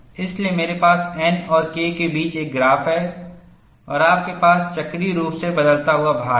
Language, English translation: Hindi, So, I have a graph between N and K, and you have cyclically varying load